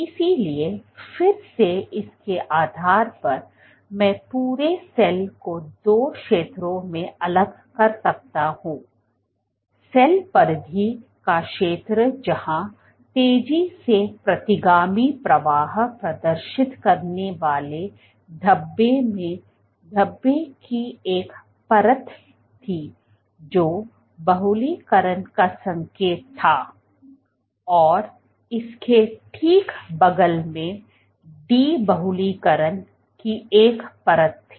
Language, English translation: Hindi, So, again based on this I can segregate the entire cell into two zones, the zone of the cell periphery where the speckles were exhibited fast retrograde flow had a layer of speckles where there was indicative of polymerization, and right next to it a layer of de polymerization